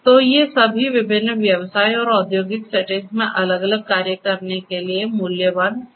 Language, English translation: Hindi, So, these are all valuable for doing different different stuff in different business and industrial settings